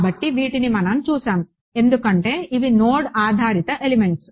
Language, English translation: Telugu, So, these are what we looked at so, for these are node based elements